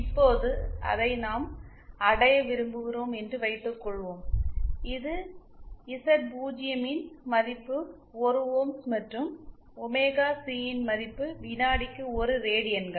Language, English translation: Tamil, Now suppose we want to achieve, this was a prototype with 1 ohms value of Z0 and 1 radians per second value of omega C